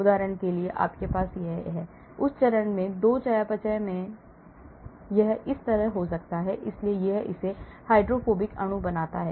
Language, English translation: Hindi, for example you have this, in that phase 2 metabolism it can have like this, so it makes it into a hydrophobic molecule